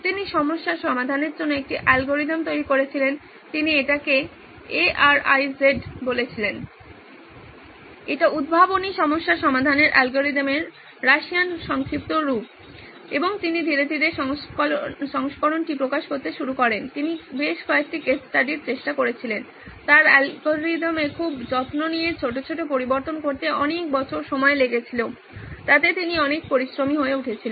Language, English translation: Bengali, He developed an algorithm of problem solving, he called it ARIZ is the Russian acronym for algorithm of inventive problem solving and he slowly started releasing version after version he tried it several case studies, he would take painstakingly take so many years to make small changes to his algorithm